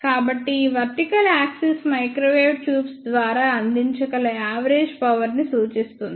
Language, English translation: Telugu, So, this vertical axis is the average power that can be provided by the microwave tubes